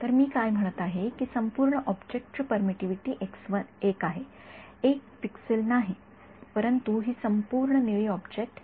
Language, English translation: Marathi, So, what I am saying is that this entire object has permittivity x 1 not one pixel, but this entire blue object is x 1